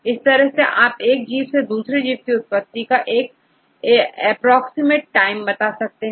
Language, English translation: Hindi, From this you can estimate the time approximately from one organism to other organisms